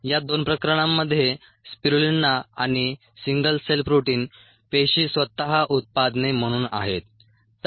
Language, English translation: Marathi, these, in these two cases, ah spirulina and ah single cell protein these cells themselves are the products